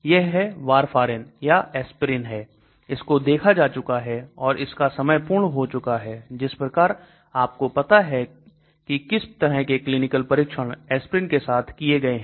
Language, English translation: Hindi, It is Warfarin or aspirin is being looked at it, Its term completed, like that you know what are the clinical trials that have been done with aspirin